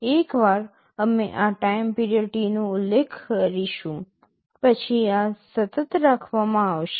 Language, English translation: Gujarati, Once we specify this time period T, this will be kept constant